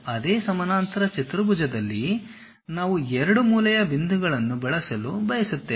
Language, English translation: Kannada, In the same parallelogram we would like to use 2 corner points